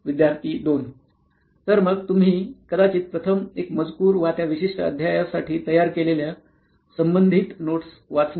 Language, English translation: Marathi, Student 2: So the first thing you would probably do is either read the text or the relevant notes that he had prepared for that particular chapter